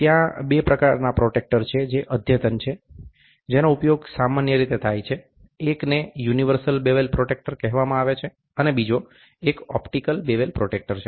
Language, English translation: Gujarati, There are two types of protractors, which are advanced, which is generally used; one is called as universal bevel protractor, the other one is optical bevel protractor